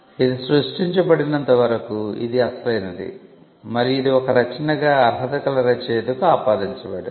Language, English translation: Telugu, As long as it is created, it is original, and it is attributed to an author it can qualify as a work